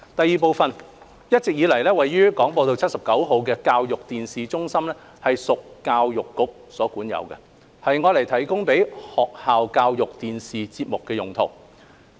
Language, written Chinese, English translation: Cantonese, 二一直以來，位於廣播道79號的教育電視中心屬教育局所管有，供製作學校教育電視節目的用途。, 2 The Educational Television Centre ETC at 79 Broadcast Drive has all along been owned by the Education Bureau for the purpose of producing school educational television ETV programmes